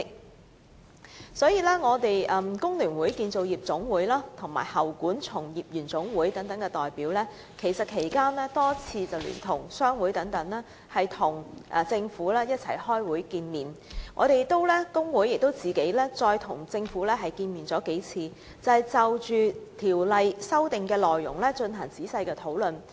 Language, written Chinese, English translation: Cantonese, 在法案委員會審議《條例草案》期間，香港工會聯合會、香港建造業總工會和香港喉管從業員總會等代表曾多次聯同商會與政府會面，而有關工會代表亦再另行與政府進行數次會面，仔細就《條例草案》的修訂內容進行討論。, In the course of the scrutiny of the Bill by the Bills Committee various meetings with the Government were jointly held by representatives of the Hong Kong Federation of Trade Unions the FTU the Hong Kong Construction Industry Employees General Union the Hong Kong Plumbing General Union and business associations . Moreover representatives of those trade unions had also met with the Government separately several times to discuss in detail the contents of the amendments to the Bill